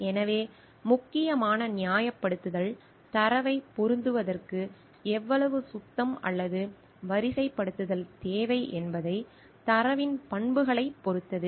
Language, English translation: Tamil, So, the crucial justification depends upon the characteristics of the data how much cleaning or sorting is required to make the data fit